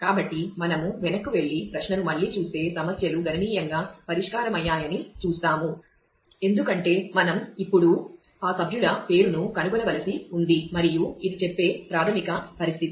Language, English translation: Telugu, So, we look at go back and look at the query again we will see that problems have got significantly solved, because we now still have to find that member name and this is the basic condition which say